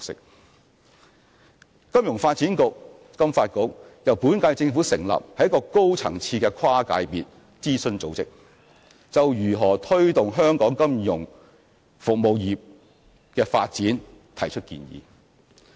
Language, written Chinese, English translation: Cantonese, 香港金融發展局由本屆政府成立，是一個高層次的跨界別諮詢組織，就如何推動香港金融服務業的發展提出建議。, The Hong Kong Financial Services Development Council FSDC established by the current - term Government is a high - level cross - sector advisory body which offers suggestions on how we should promote the development of our financial services industry